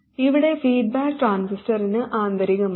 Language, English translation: Malayalam, Here the feedback is internal to the transistor